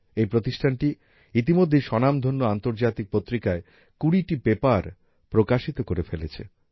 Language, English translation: Bengali, The center has already published 20 papers in reputed international journals